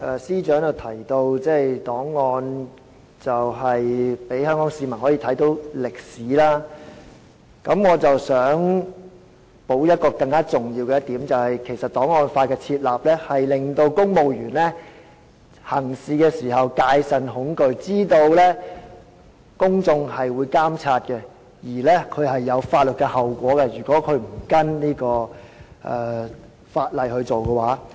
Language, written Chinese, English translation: Cantonese, 司長剛才提到檔案可以讓香港市民了解歷史，我想補充更重要的一點，便是檔案法的設立可令公務員在行事時戒慎恐懼，知道公眾會監察，如果他們不跟從法例行事，須承擔法律後果。, The Chief Secretary said earlier that the records could serve to enable Hongkongers to get to know history . I wish to add a more important point and that is the enactment of an archives law serves to caution civil servants to be highly scrupulous and prudent in their work knowing that they are subject to public monitoring and they have to bear legal consequences for not acting in accordance with the law